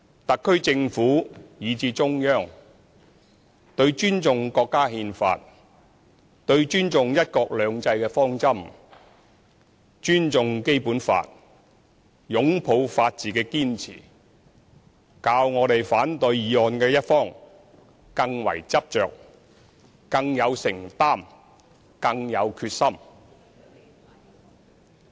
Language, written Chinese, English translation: Cantonese, 特區政府，以至中央，對尊重國家憲法，對尊重"一國兩制"的方針，尊重《基本法》，擁抱法治的堅持，較反對議案的一方更為執着，更有承擔，更有決心。, The SAR Government and the Central Authority are no less resolute committed and determined than people opposing the motion to have respect for the Constitution for the direction of the one country two systems for the Basic Law and for the rule of law